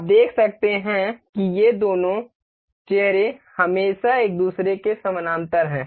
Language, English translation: Hindi, You can see this two faces are always parallel to each other